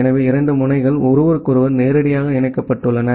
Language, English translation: Tamil, So, where the 2 nodes are directly connected to each other